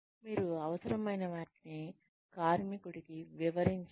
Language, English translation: Telugu, You explain to the worker, what is required